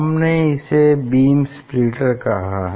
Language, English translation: Hindi, We tell it is a beam splitter